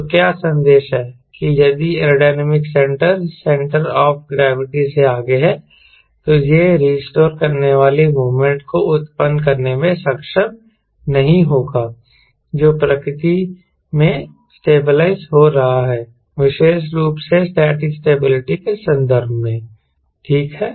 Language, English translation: Hindi, that if aerodynamic centre is ahead of centre of gravity, then it will not be able to generate the restoring moment which is stabilizing in nature, in particular static stability in context